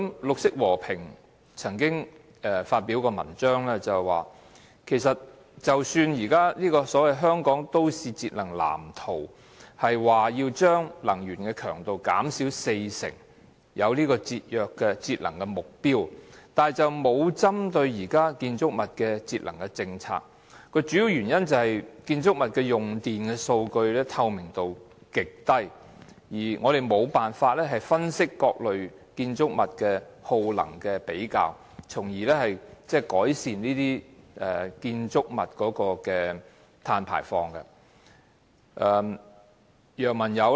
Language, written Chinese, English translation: Cantonese, 綠色和平曾經發表文章，表示即使《香港都市節能藍圖 2015~2025+》表示能將能源強度減少四成，但當局空有節能目標，卻無針對現時建築物節能的政策，主要原因是建築物的用電情況，透明度極低，我們無法分析各類建築物耗能程度，從而改善建築物的碳排放。, Greenpeace once pointed out in its article that even though the Energy Saving Plan for Hong Kongs Built Environment 20152025 aimed at lowering energy intensity by 40 % the authorities only set the target of saving energy but lacked the policy to lower the energy consumption of buildings . The main reason is that energy consumption of buildings is not transparent at all making it impossible to analyse the energy levels of different types of buildings and hence reduce their carbon emissions